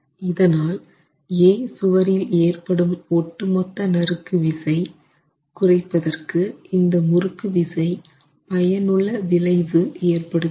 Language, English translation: Tamil, And therefore, the torsion will have a beneficial effect in this particular case in reducing the total shear force coming onto wall A